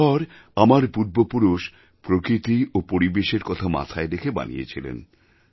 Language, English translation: Bengali, These houses were built by our ancestors in sync with nature and surroundings of this place"